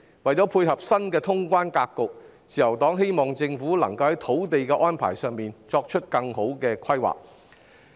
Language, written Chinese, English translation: Cantonese, 為配合新的通關格局，自由黨希望政府能在土地安排上作出更好的規劃。, In order to cope with the new customs clearance pattern the Liberal Party hopes that the Government can draw up better plans for land use arrangement